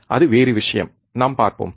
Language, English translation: Tamil, That is different case, we will see